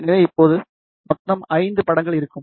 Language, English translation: Tamil, So, now we will have total five images